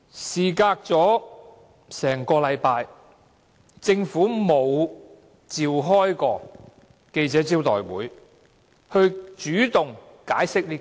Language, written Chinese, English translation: Cantonese, 事隔1星期後，政府沒有召開記者招待會主動解釋此事。, One week after the incident the Government still did not take the initiative to brief the press on the incident